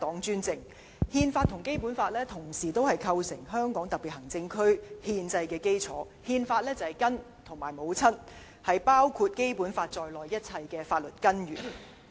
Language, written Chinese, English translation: Cantonese, 《憲法》和《基本法》構成香港特別行政區的憲制基礎，《憲法》是根、是母親，是包括《基本法》在內的一切法律根源。, The Constitution and the Basic Law have laid the constitutional foundation of HKSAR . The Constitution is the root the mother and the source of all laws including the Basic Law